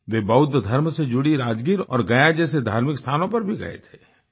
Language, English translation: Hindi, He also went to Buddhist holy sites such as Rajgir and Gaya